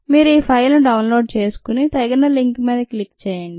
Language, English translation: Telugu, here you could download this file and click on the appropriate link